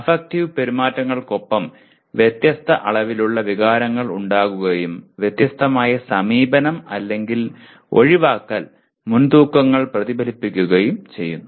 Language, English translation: Malayalam, Affective behaviors are accompanied by varying degrees of feelings and reflect distinct “approach” or “avoidance” predispositions